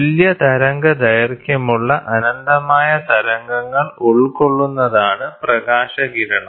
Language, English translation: Malayalam, A ray of light is composed of an infinite number of waves of equal wavelength